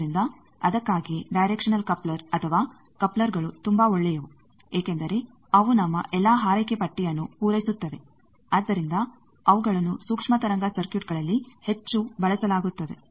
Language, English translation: Kannada, So, that is why directional coupler or couplers are very good that they are since they satisfy all our wish list they are used heavily in microwave circuit